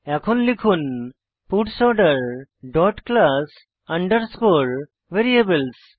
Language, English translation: Bengali, Now let us type puts Order dot class underscore variables